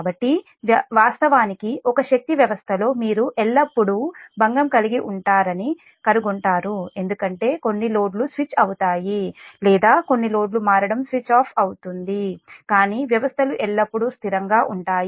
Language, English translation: Telugu, so actually in a power system you will find that there is always a disturbance because some loads are switch or switching on, some loads are switched off, but systems are always stable